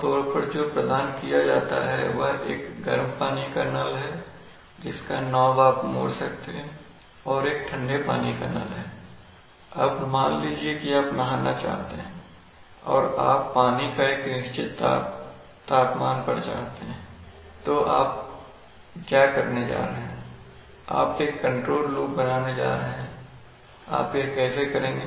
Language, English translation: Hindi, What is generally provided is a hot water is a, is hot water tap whose knob you can turn and a cold water tap, now suppose that you want to take a shower and you want the water at a certain temperature, so what are you going to do, you are going to set up a control loop, how, you are going to, you will probably, the safe way of doing things is to turn on the cold water to the maximum